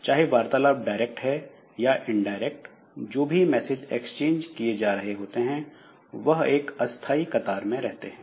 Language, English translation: Hindi, So, whether the communication is direct or indirect messages are extends by communicating processes reside in a temporary queue